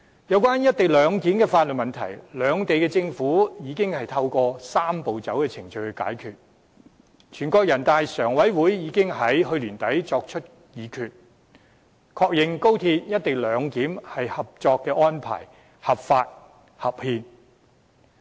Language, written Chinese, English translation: Cantonese, 有關"一地兩檢"的法律問題，兩地政府已透過"三步走"程序解決，人大常委會已於去年年底作出議決，確認高鐵"一地兩檢"合作安排合法、合憲。, The legal issues of co - location have already been solved by both governments through the Three - step Process . In a decision made late last year the Standing Committee of the National Peoples Congress NPCSC affirmed the legality and constitutionality of the cooperation arrangement pertaining to the implementation of the co - location arrangement at XRL